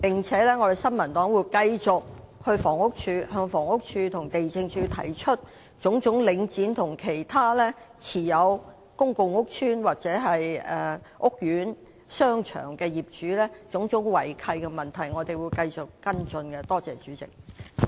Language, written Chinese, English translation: Cantonese, 此外，新民黨會繼續向房屋署和地政署，提出領展及其他持有公共屋邨或屋苑商場的業主的種種違契問題，我們會繼續跟進有關事宜。, Moreover the New Peoples Party will continue to raise with HD and the Lands Department issues concerning various breaches of land lease by Link REIT and other owners of shopping centres of public housing estates . We will continue to follow up these issues